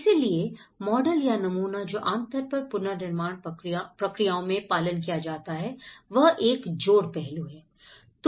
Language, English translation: Hindi, So, the model which generally which has been followed in the reconstruction processes is one is an aspect of addition